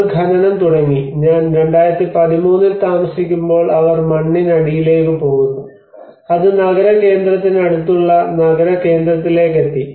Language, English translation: Malayalam, They started digging the mine, and they are going underground when I was living in 2013 it came almost down to the city centre close to the city centre